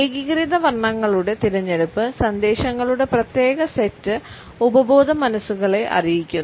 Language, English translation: Malayalam, The choice of uniform colors conveys particular sets of subconscious messages